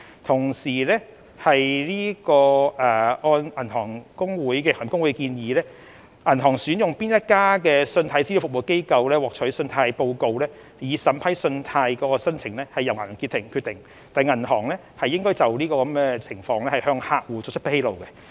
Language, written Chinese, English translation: Cantonese, 此外，按行業公會的建議，銀行向哪一家信貸資料服務機構索取信貸報告以審批信貸申請，是由銀行決定的，而銀行亦應向客戶作出相關披露。, In addition according to the recommendation of the Industry Associations it will be for banks to decide which CRA to use in obtaining credit reports for the purposes of loan approval and to inform their customers of the relevant decisions